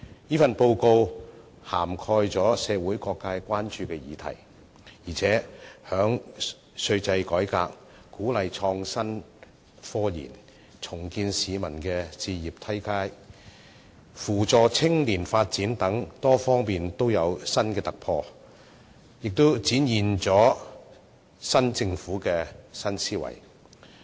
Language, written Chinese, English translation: Cantonese, 這份報告涵蓋了社會各界關注的議題，而且在稅制改革、鼓勵創新科研、重建市民置業階梯及扶助青年發展等多方面均有新突破，展現出新政府的新思維。, This Policy Address not only covers issues of public concern but also has breakthroughs in many areas such as tax reform the promotion of innovation and technology the rebuilding of a housing ladder and the support of youth development demonstrating the new mindset of the new Government